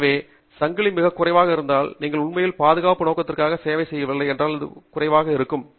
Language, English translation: Tamil, So, if you have the chain too low, then you have actually not served the safety purpose, because if it is too low, the bottle can still fall down